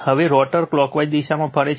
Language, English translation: Gujarati, Now, rotor rotates in the clockwise direction